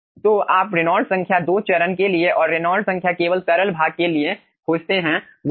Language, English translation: Hindi, so you find out reynolds number for 2 phase and reynolds number for fluid portion only